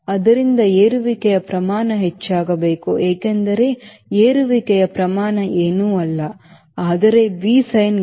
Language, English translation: Kannada, so rate of climb should increase, because the rate of climb is nothing but v sin gamma